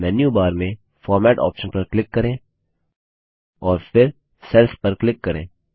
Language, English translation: Hindi, Now click on the Format option in the menu bar and then click on Cells